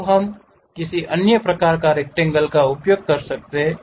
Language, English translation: Hindi, Now, we can use some other kind of rectangle